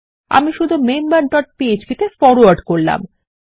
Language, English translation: Bengali, Ill just forward myself to member dot php